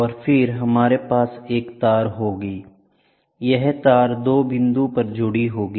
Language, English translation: Hindi, And then, we will have a wire this wire will be junctioned at 2 point